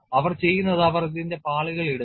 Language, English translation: Malayalam, And what they do is they put layers of this